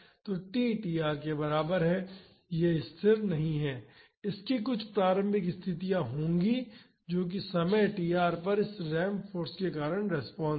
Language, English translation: Hindi, So, at t is equal to tr, it is not at rest, it will have some initial conditions that is the response due to this ramped force at time is equal to tr